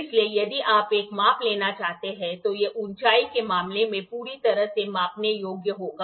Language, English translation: Hindi, So, if you want to take a measurement this will be perfectly measureable in terms of height